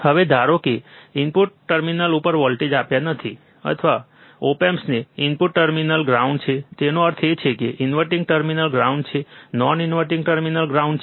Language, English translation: Gujarati, Now, assume that you have given no voltage at input terminal, or input terminal op amps are are grounded; that means, is inverting terminal is ground non inverting terminal is ground